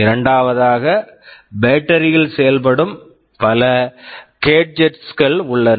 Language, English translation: Tamil, And secondly, there are many gadgets which also operate on battery